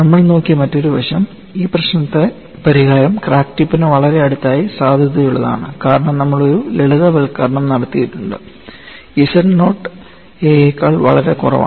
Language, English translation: Malayalam, Another aspect what we looked at was, this solution is actually valid very close to the crack tip, because we have made a simplification z naught is much less than a and that is how you have got